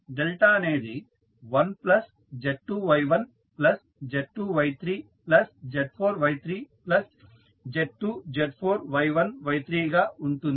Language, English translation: Telugu, Delta will be 1 plus Z2 Y1 plus Z2 Y3 plus Z4 Y3 plus Z2 Z4 Y1 Y3